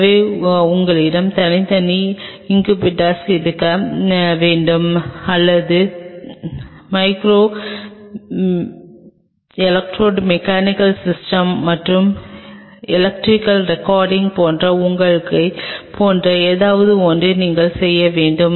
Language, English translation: Tamil, So, we have to have separate incubators or your working on something like you know micro electro mechanical systems and electrical recordings